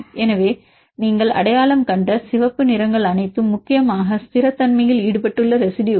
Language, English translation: Tamil, So, here the red ones you identified these are all the residues which are mainly involved in stability